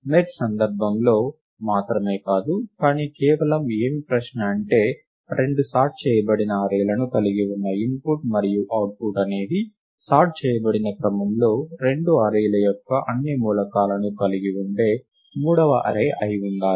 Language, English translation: Telugu, Lets look it as an independent exercise, not just in the context of merge sort, but just the question of; the input consisting of two sorted arrays and the output should be a third array which contains, all the elements of the two arrays in sorted order